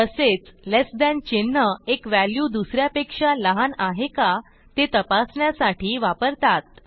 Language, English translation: Marathi, Similarly, less than symbol is used to check if one value is less than the other